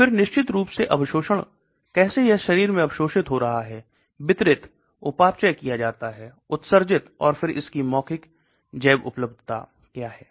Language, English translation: Hindi, Then of course absorption how is it getting absorbed into the body, distributed, metabolized excreted and then oral bioavailability